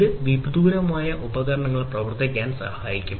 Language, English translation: Malayalam, So, basically this will help in operating instruments remotely